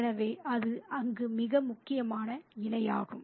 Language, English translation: Tamil, So, that's the most important parallel there